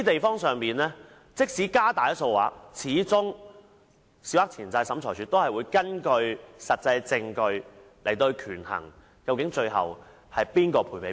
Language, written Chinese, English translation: Cantonese, 因此，即使限額有所提高，但審裁處始終會根據實質證據，權衡誰要向誰作出賠償。, Therefore even if the limit is increased SCT will based on the substantial evidence decide who should pay compensation